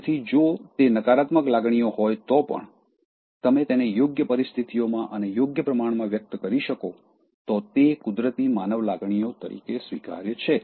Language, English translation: Gujarati, So, even if they are negative emotions, if you can express that in appropriate situations, in right proportion, they are acceptable as natural human emotions which you’re trying to evoke in a spontaneous manner